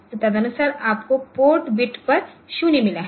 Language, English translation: Hindi, So, accordingly you have they found a 0 on the port beat